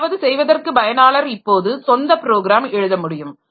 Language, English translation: Tamil, So, user can now start writing our own program for doing something